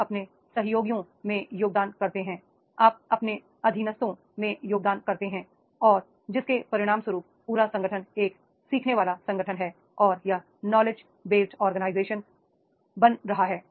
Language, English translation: Hindi, You contribute, you contribute to your colleagues, you contribute to your subordinates and as a result of which the whole organization that is the learning organization and the learning organization is becoming the knowledge based organization